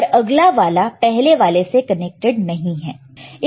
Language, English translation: Hindi, The next one is not connected to second one